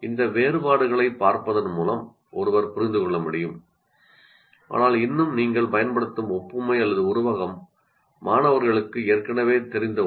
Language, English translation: Tamil, So by looking at these differences, one will be able to understand, but still the analogy or the simile that you are using is something that students are already familiar with